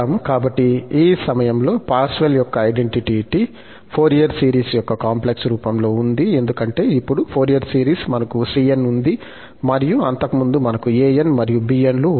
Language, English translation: Telugu, So, this Parseval's identity is in the complex form of Fourier series, because now in the Fourier series, we have cn, earlier we had an's and bn's